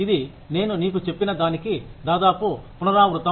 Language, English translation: Telugu, It is almost a repetition of what I just told you